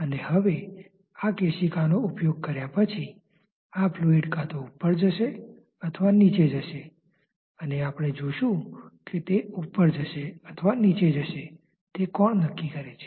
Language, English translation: Gujarati, And now once this capillary is introduced this fluid is expected to either rise or fall and we will see that what dictates that it should rise or fall